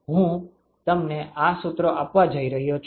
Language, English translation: Gujarati, I am going to give you these expressions